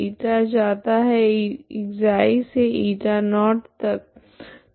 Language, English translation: Hindi, η goes from η is from ξ from this line to upto here that is η0, okay